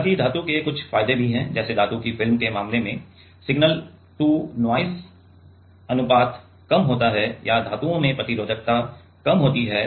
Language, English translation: Hindi, However, there are some advantages of metal also the like the metal films can be in case of metal film the signal to noise ratio is lesser or metals have low resistivity